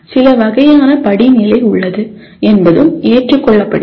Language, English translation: Tamil, And it is also accepted there is certain kind of hierarchy